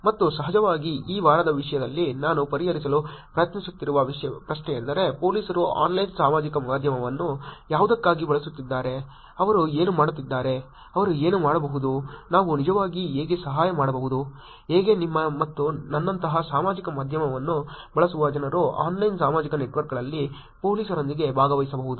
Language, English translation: Kannada, And of course, the question that I'm going to be trying to address in this week content is actually what has police been using Online Social Media for, what have they been doing, what can they do, how we can actually help, how people using social media like you and me can actually participate with the police in online social networks